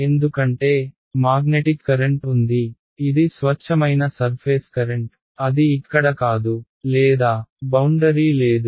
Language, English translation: Telugu, Because, there is magnetic current is on the is a pure surface current it does not it is not either here nor there is exactly on the boundary right